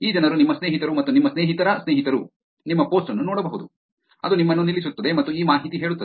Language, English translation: Kannada, These people your friends and friends of your friends can see your post, it is going to stop you and tell you this information